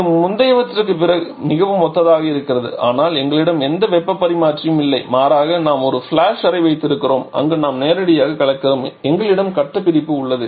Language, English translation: Tamil, So, it is quite similar to the previous case but we are not having any heat exchanger rather we having a flash chamber where we are having a direct mixing and we have phase separation